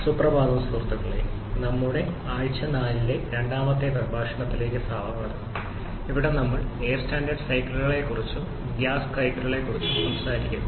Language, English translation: Malayalam, Morning friends, welcome to the second lecture of our week number 4 where we are talking about the air standard cycles or so called gas power cycles